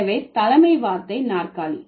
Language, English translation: Tamil, So, the head word is chair